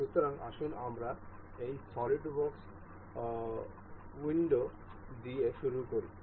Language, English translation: Bengali, So, let us begin with this SolidWorks window